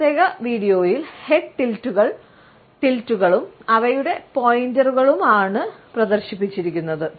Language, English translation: Malayalam, In this particular video the head tilts and their paintings have been displayed